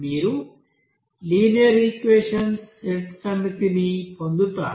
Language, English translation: Telugu, And you will get set of linear equations there